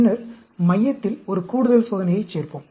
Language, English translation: Tamil, Then, we add one extra experiment in the center